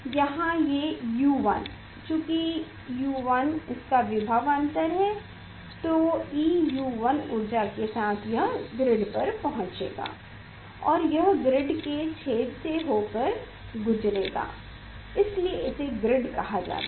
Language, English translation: Hindi, e U 1 with this potential difference or e V U 1 tie with it energy it will come to the grid and it will pass through the holes of the grid that is why it is called grid